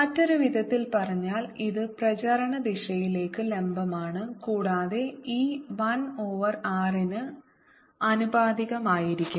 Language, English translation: Malayalam, in another words, it is perpendicular to the direction of propagation and e will be proportional to one over r